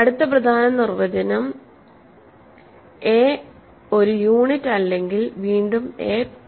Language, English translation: Malayalam, So, the other important definition is a is prime again if a is not a unit